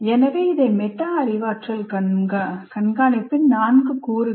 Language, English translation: Tamil, So these are the four elements of metacognitive monitoring